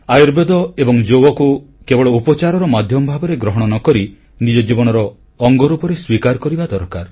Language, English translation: Odia, Do not look at Ayurveda and Yoga as a means of medical treatment only; instead of this we should make them a part of our life